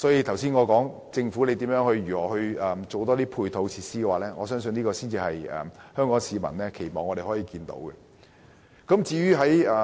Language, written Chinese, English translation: Cantonese, 因此，我認為政府應提供更多配套設施，這才是香港市民希望見到的作為。, Therefore the Government should provide more supporting facilities which is what the public wish to see the Government do